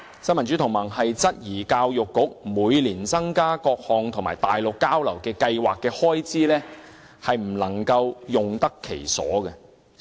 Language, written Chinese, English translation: Cantonese, 新民主同盟質疑教育局每年增加各項內地交流計劃的開支，未能用得其所。, The Neo Democrats doubts that the increased expenditure on the various Mainland exchange programmes under the Education Bureau every year had not been spent properly